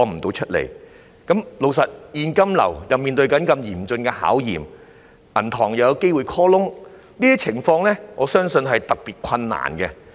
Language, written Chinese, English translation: Cantonese, 老實說，他們的現金流正面對嚴峻的考驗，銀行又有機會 call loan， 我相信這些情況會令他們經營得特別困難。, Frankly speaking their cash flow is being put to a serious test and the banks may call loans . I believe these circumstances will make their operation particularly difficult